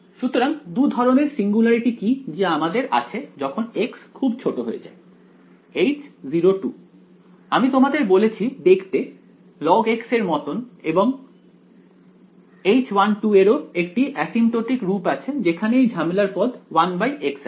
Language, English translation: Bengali, So, what are the 2 kinds of singularities that we have as x becomes very small H naught 2 I have told you looks like this log of x and H 1 2 also has an asymptotic form over here which goes the problematic term is 1 by x right